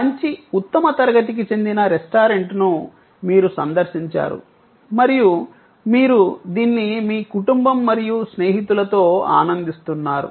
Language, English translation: Telugu, Your visit to a good classy restaurant and you are enjoyment with your family and friends